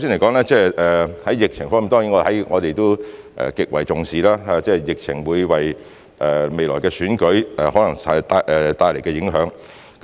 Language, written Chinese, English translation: Cantonese, 首先，在疫情方面，當然我們也極為重視疫情可能會為未來的選舉帶來的影響。, First of all speaking of the epidemic situation certainly we also attach great importance to the possible impact on the upcoming elections that may be brought about by the epidemic